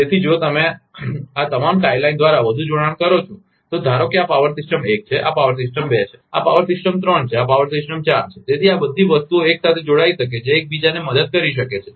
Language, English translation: Gujarati, So, if you make more connection by all this tie line, suppose this is power system one, this is power system two, this is power system three, this is power system four; so all these things can be connected together